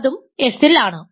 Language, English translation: Malayalam, So, that is also in S